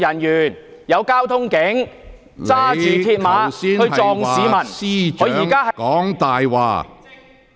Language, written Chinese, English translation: Cantonese, 有交通警員在葵涌駕駛電單車撞向市民，而他現在......, A traffic police officer drove a motorcycle into passers - by in Kwai Chung and now he is